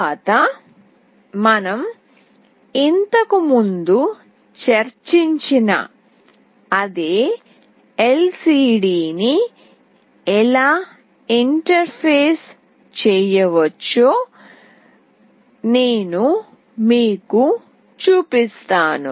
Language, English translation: Telugu, Next I will be showing you how we can interface LCD, the same LCD that we have already discussed earlier